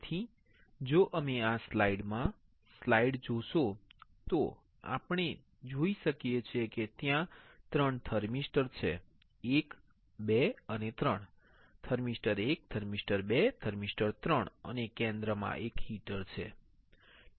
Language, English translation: Gujarati, So, if you see the slide in this slide, we can see that there are three thermistors 1, 2 and 3; thermistor 1, thermistor 2, thermistor 3 and in the center there is a heater, alright